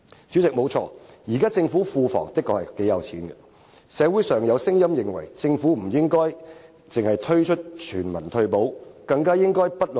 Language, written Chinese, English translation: Cantonese, 主席，現時政府庫房雖有頗多盈餘，社會上亦有聲音認為政府應不論貧富，推出全民退休保障制度。, At present President Hong Kongs public coffers are operating at a surplus and there are voices in society urging the Government to launch a universal retirement protection system for both the rich and the poor